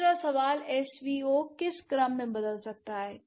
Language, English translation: Hindi, The second question, what other orders can SVO change into